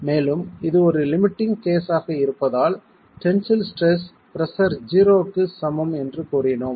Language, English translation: Tamil, And we said that this being a limiting case, the tensile stress is equal to 0